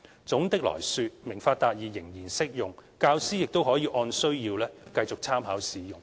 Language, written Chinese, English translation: Cantonese, 總的來說，"明法達義"仍然適用，教師亦可以按需要繼續參考使用。, In a nutshell the Understanding the Law Access to Justice―Basic Law Learning Package is still applicable and teachers can still use it for reference as necessary